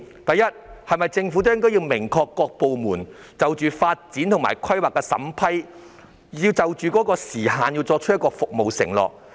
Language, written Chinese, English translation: Cantonese, 第一，政府是否要明確指示各部門，必須就發展和規劃的審批時限作出服務承諾？, First should the Government clearly instruct the various departments to make performance pledges in respect of the time taken for approving development and planning projects?